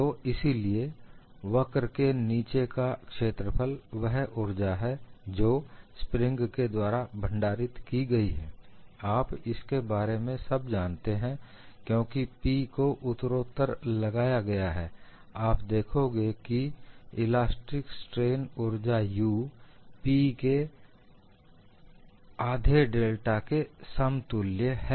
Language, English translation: Hindi, So, the area under the curve is what is the energy that is stored within the spring, you all know about it because, P is applied gradually, you find elastic strain energy U equal to 1 half of P into delta